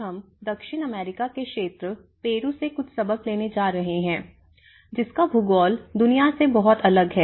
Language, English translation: Hindi, Today, we are going to take some lessons from a very different geography of the world from the South American side the Peru